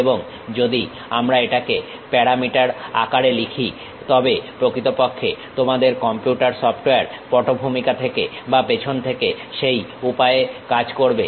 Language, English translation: Bengali, And, if we are writing it in parameter form so, the background of your or back end of your computer software actually works in that way